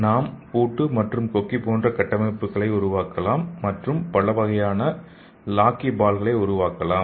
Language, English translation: Tamil, We can make this lock and hook like structures and we can make this kind of lockyballs okay